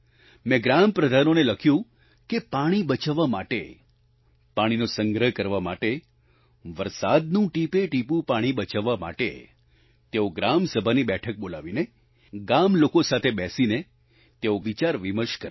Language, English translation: Gujarati, That in order to save water, to collect water, to save the very drops of the rainwater, they should convene a meeting of the Gram Sabha and sit and discuss the resolution to this problem with the villagers